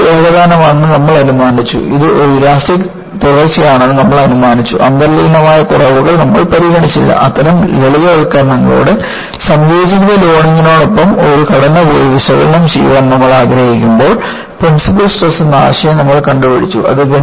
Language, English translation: Malayalam, You had idealize the material is homogeneous, you would also idealize it is an elastic continuum, you did not consider inherent flaws, with all such simplification, when you want to go and analyze a structure with combined loading, you invented the concept of principal stresses which simplified drastically